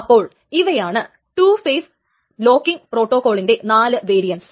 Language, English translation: Malayalam, So, these are the four variants of the two phase locking protocol